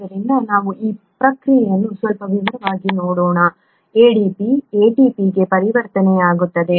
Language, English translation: Kannada, So let us look at this process in some detail, ADP getting converted to ATP